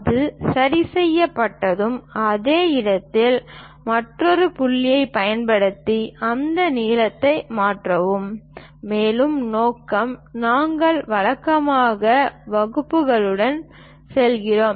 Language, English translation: Tamil, Once that is fixed, use another point at same location and transfer that length; further purpose, we usually go with dividers